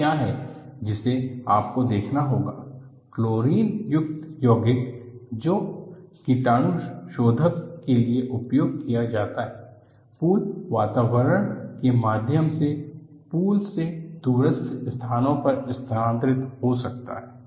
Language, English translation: Hindi, So, what you will have to look at is, the chlorine containing compounds, which are used for disinfection, may transfer via the pool atmosphere to surfaces remote from the pool itself